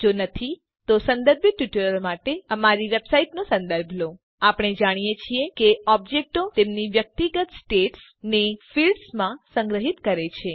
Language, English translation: Gujarati, If not, for relevant tutorials please visit our website which is as shown, (http://www.spoken tutorial.org) We know that objects store their individual states in fields